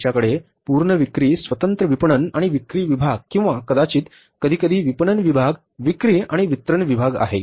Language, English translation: Marathi, We have the full fledged independent marketing and sales department or maybe sometime marketing department sales and distribution department